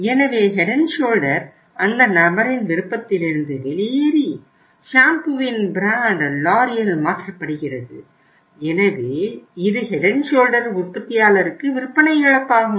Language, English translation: Tamil, So Head and Shoulder is gone out of that person’s choice and that brand of the shampoo is replaced by the L'Oreal so you see it is a loss of the sale to the manufacturer of the Head and Shoulder